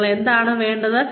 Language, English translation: Malayalam, What do you need